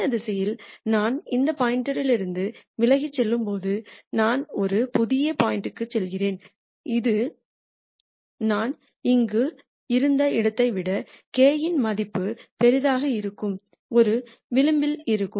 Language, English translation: Tamil, I also know that as I go away from this point in this direction, let us say I go to a new point, then that would be on a contour where the value of k is larger than where I was here